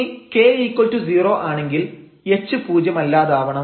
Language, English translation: Malayalam, So, k to 0 means this is 0 and h is non zero